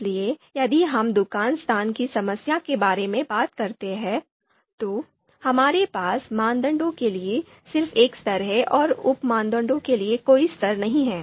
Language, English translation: Hindi, So if we talk about this problem, shop location problem, so we have just one level for criteria there is no level for sub criteria